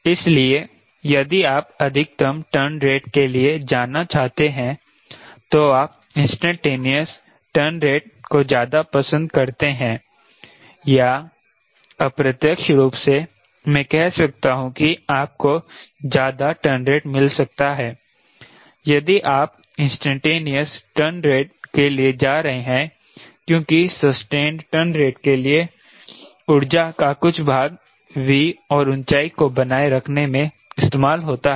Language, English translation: Hindi, so if you want to go for maximum turn rate, you prefer instantaneous turn rate or indirectly i can say you can get higher turn rate if you are going for instantaneous turn rate, because for sustained turn rate some part of energy will be utilized in maintaining v and the altitude, right